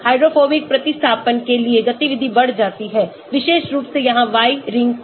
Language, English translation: Hindi, Activity increases for hydrophobic substituents, especially ring Y here